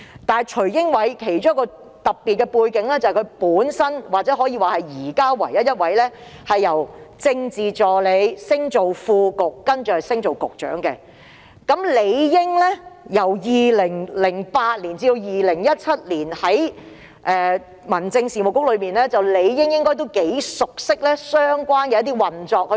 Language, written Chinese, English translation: Cantonese, 但徐英偉有一個特別的背景，就是他是目前唯一升任副局長並再晉升至局長的政治助理，而且在2008年至2017年期間於民政事務局任職政治助理，應該頗為熟悉相關運作。, However Caspar TSUI is special in the sense that he is by far the only Political Assistant first promoted to be Under Secretary and then the Secretary . As he had served as the Political Assistant of the Home Affairs Bureau from 2008 to 2017 he should be quite familiar with the operation of the Bureau